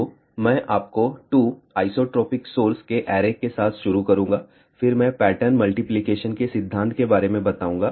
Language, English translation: Hindi, So, I will start with arrays of 2 isotropic sources then I will talk about principle of pattern multiplication